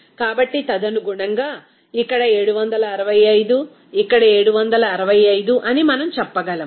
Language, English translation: Telugu, So accordingly here, we can say that here it will be 765, here 765, here 765